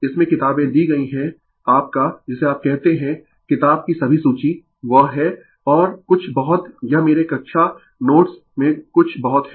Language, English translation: Hindi, Books aregiven in that your what you call all the list of the book, at is that is and something it is something in mymy class notes right